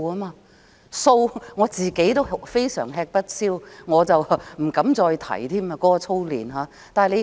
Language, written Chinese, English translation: Cantonese, 對於數學，我也非常吃不消，不敢再提操練。, I find Mathematics really daunting and I dare not talk about drills in this subject